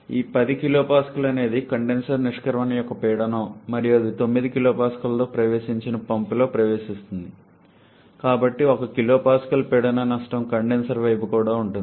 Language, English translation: Telugu, And look at this 10 kPa is the pressure of the condenser exit and it enters the pump it enters with 9 kPa, so 1 kPa pressure loss is also present in the condenser side